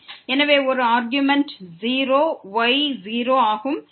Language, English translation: Tamil, So, one argument is 0, the is 0